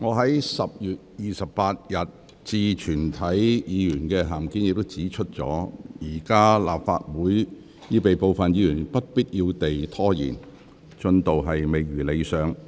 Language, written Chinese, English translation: Cantonese, 各位議員，我在10月28日致全體議員的函件中已指出，現時立法會會議已被部分議員不必要地拖延，進度未如理想。, Members as I pointed out in my letter to all of you dated 28 October at present the progress of the Legislative Council meetings have been unsatisfactory with unnecessary delays caused by some Members